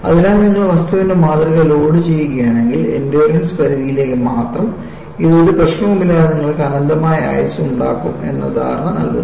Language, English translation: Malayalam, So, what you find is, if you load the specimen, only to the endurance limit, it gives an impression that, you will have infinite life without any problem